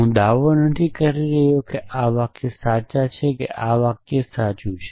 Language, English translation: Gujarati, I am not claiming that this sentences is true or this sentence is true